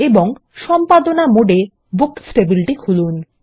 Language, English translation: Bengali, And open the Books table in Edit mode